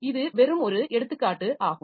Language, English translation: Tamil, So, this is just an example